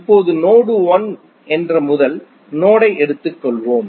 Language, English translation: Tamil, Now, let us take the first node that is node 1